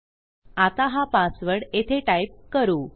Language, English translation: Marathi, So, this is the password I am typing in here